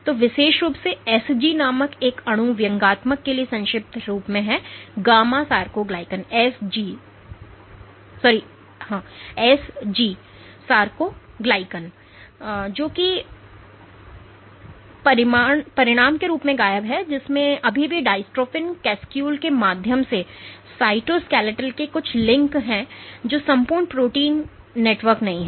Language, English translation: Hindi, So, particularly this molecule called SG is short form for sarcoglycan there is gamma sarcoglycan that is missing as a consequence of which there is still some links to the cytoskeletal through the dystrophin molecule, but the entire protein network is not there